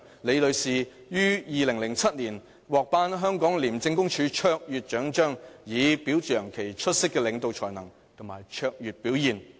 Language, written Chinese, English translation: Cantonese, 李女士於2007年獲頒香港廉政公署卓越獎章，以表揚其出色領導才能及卓越表現。, Ms LI received the Hong Kong ICAC Medal for Distinguished Service in 2007 for her outstanding leadership and exemplary service